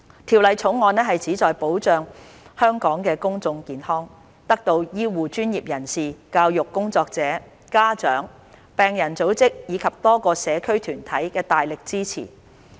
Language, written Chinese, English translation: Cantonese, 《條例草案》旨在保障香港的公眾健康，得到醫護專業人士、教育工作者、家長、病人組織及多個社區團體的大力支持。, The Bill aims to protect public health in Hong Kong and has received strong support from healthcare professionals educators parents patient groups and many community groups